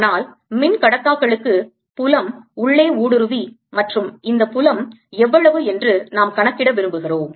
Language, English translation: Tamil, but for a dielectric the field does penetrate inside and we want to calculate how much is this field